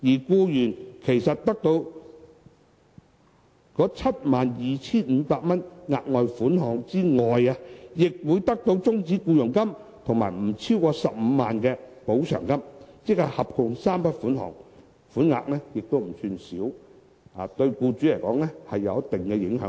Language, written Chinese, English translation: Cantonese, 僱員得到 72,500 元額外款項之外，亦會得到終止僱傭金及不超過15萬元的補償，即合共3筆款項，款額不算少，對僱主來說有一定的影響力。, In addition to a further sum of 72,500 employees will also get a terminal payment and a compensation not exceeding 150,000 . In other words the employees will get three sums altogether which should not be regarded as a small amount . This will certainly have an impact on employers